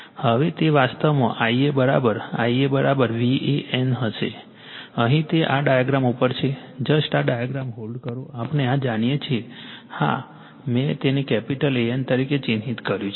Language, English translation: Gujarati, Now, I a is equal to your I a is equal to it will V a n actually, here it is at this diagram just hold on , this diagram , we know this , this is yeah I have marked it capital A N right